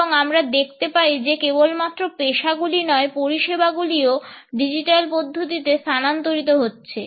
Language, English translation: Bengali, And we find that not only the professions, but services also are shifting to digital modalities